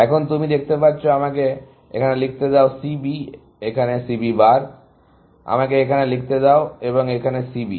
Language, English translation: Bengali, Now, you can see that, let me write it here; C B here, C B bar; let me write here, and C b here